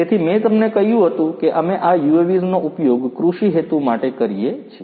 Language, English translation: Gujarati, So, I told you that we use these UAVs for agricultural purposes